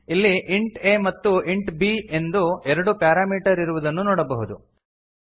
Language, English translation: Kannada, You can see here we have two parameters int a and int b